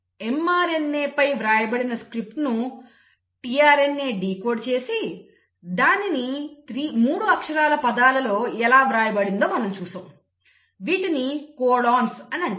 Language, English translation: Telugu, We saw how mRNA, the script which is written on mRNA is decoded by the tRNA and the script is written into 3 letter words which are called as the codons